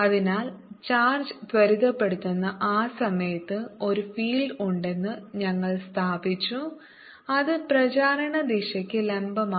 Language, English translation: Malayalam, so we have established that there exists a field, in those times when the charge is accelerating, which is perpendicular to the direction of propagation